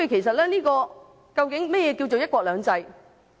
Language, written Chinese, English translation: Cantonese, 所以，究竟何謂"一國兩制"？, Thus what actually is the meaning of one country two systems?